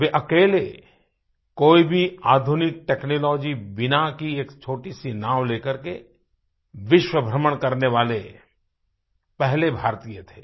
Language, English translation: Hindi, He was the first Indian who set on a global voyage in a small boat without any modern technology